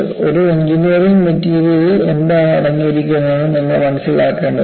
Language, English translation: Malayalam, You know, you will have to understand what an engineering materials contain